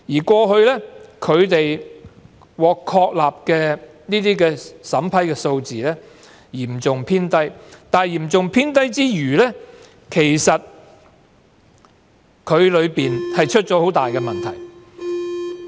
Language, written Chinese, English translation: Cantonese, 過去，獲成功確立的免遣返聲請數字嚴重偏低，除此之外，當中更出現嚴重問題。, Over the years the number of non - refoulement claims that have been successfully established has remained seriously low . Apart from this serious problems have also arisen in the process